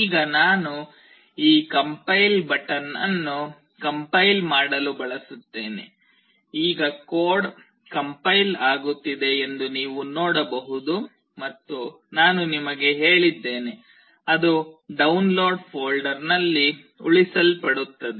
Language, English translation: Kannada, Now, I will use this compile button to compile it, now the code is getting compiled you can see and I have told you that, it will get saved in Download folder